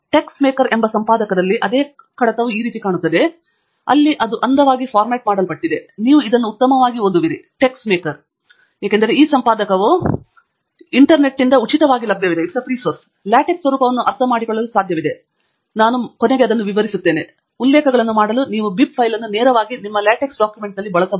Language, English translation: Kannada, In an editor called TeXmaker, the same file would look like this, where it is neatly formatted and you will be able read it much better, because this editor freely available from the Internet called TeXmaker, is able to understand the format of LaTeX, and as I will illustrate later to you, you can use this bib file directly in your LaTeX documents to make references